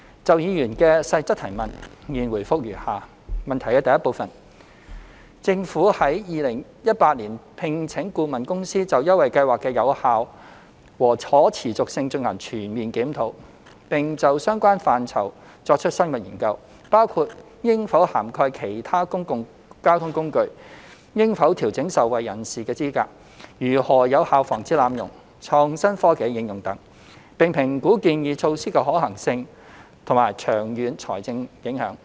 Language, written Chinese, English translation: Cantonese, 就議員所提質詢的各部分，我現答覆如下：一政府於2018年聘請顧問公司，就優惠計劃的有效和可持續性進行全面檢討，並就相關範疇作出深入研究，包括應否涵蓋其他公共交通工具、應否調整受惠人士的資格、如何有效防止濫用、創新科技的應用等，並評估建議措施的可行性和長遠財政影響。, My reply to the various parts of the Members question is as follows 1 The Government engaged a consultancy firm in 2018 to conduct a comprehensive review of the effectiveness and sustainability of the Scheme and carry out in - depth studies on relevant areas including whether other public transport modes should be covered whether eligibility criteria of beneficiaries should be adjusted how abuses can be prevented effectively and the application of new technologies . The consultancy firm is also required to assess the feasibility and long - term financial impact of proposed recommendations